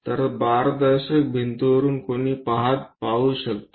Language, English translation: Marathi, So, one can really look at from transparent wall